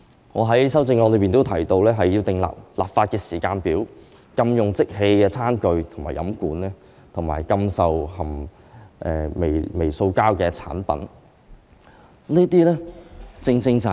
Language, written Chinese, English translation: Cantonese, 我在修正案中提到要制訂立法時間表，禁用即棄餐具及飲管，以及禁售含微塑膠的產品。, I have mentioned in my amendment that there should be formulation of a legislative timetable to ban the use of disposable plastic tableware and straws and to ban the sale of products containing microplastics